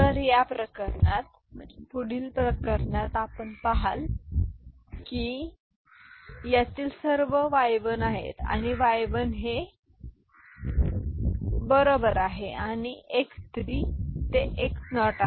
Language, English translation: Marathi, So, in this case this next case you see, all of them are y1, this is y1 right and this is x3 to x naught